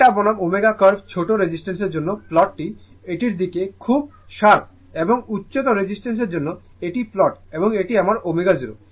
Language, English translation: Bengali, Theta versus omega curve for small resistance the plot is very sharp look at that and for high resistance this is the plot and this is my omega 0